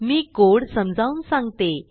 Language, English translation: Marathi, I shall now explain the code